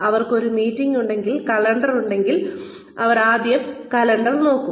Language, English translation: Malayalam, If they have a meeting, if they have a calendar, they will first look at the calendar